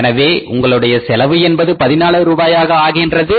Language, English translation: Tamil, So your cost becomes 14 rupees